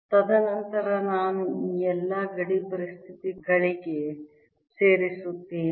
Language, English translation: Kannada, and then i add to all this the boundary conditions